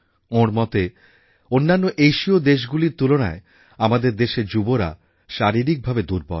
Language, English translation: Bengali, He feels that our youth are physically weak, compared to those of other Asian countries